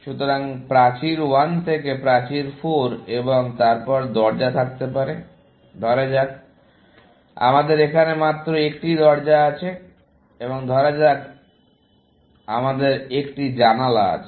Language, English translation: Bengali, So, from wall 1 to wall 4 and then, may be door; let say, we have only 1 door in this, and let say, we have a window